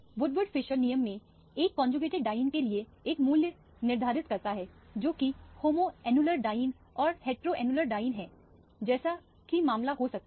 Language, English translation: Hindi, In the Woodward Fieser rule, one sets a basic value for the conjugated diene which is the homoannular diene or the heteroannular diene as the case may be